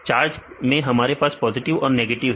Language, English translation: Hindi, In charged we have positive and negative